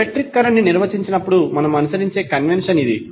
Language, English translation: Telugu, So, that is the convention we follow when we define the electric current